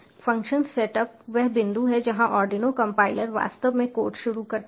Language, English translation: Hindi, the function setup is the point where the arduino compiler actually starts the code, so its just like analog